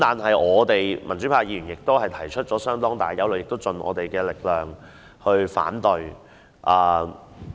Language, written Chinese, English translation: Cantonese, 可是，民主派議員則提出相當大的憂慮，亦會竭力反對。, However we the pro - democratic Members have raised great concern and will try all our might to oppose the amendments to the Ordinance